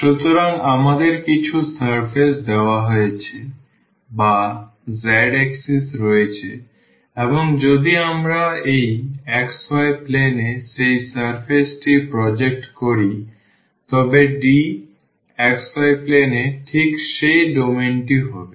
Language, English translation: Bengali, So, we have the some surface given or the z axis and if we project that surface into this xy plane then D will be exactly that domain in the xy plane